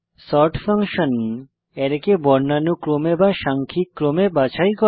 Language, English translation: Bengali, sort function sorts an Array in alphabetical/numerical order